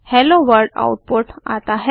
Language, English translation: Hindi, We get the output as Hello World